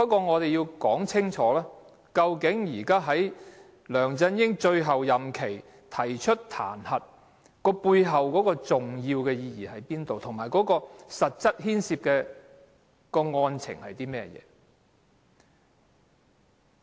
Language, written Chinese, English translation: Cantonese, 我們要說清楚，究竟在梁振英任期的最後階段提出彈劾的重要意義何在，以及實際牽涉的案情。, However we want to state clearly the significance of initiating the impeachment motion at the very last stage of LEUNG Chun - yings term of office and the actual facts involved